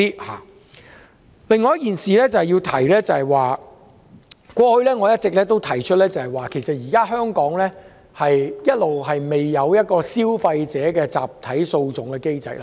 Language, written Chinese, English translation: Cantonese, 我要提出的另一點，我過去一直指出，香港現時仍未設有消費者集體訴訟機制。, Another point I wish to bring up is as I have always said that Hong Kong lacks a class action mechanism for consumers